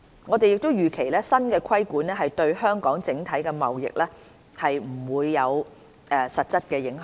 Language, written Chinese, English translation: Cantonese, 我們預期新的規管對香港整體的貿易不會有實質影響。, We do not expect that the new regulation will have a substantial impact on Hong Kongs overall trade